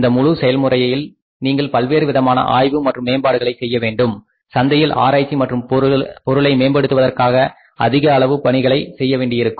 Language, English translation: Tamil, During this entire process you have to do lot of research and development, you have to spend lot of money for researching and developing the product in the market